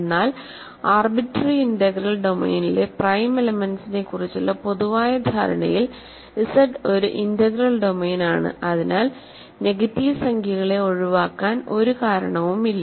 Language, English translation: Malayalam, But in the more general notion of prime elements in an arbitrary integral domain Z is an integral domain, so there is no reason to exclude negative numbers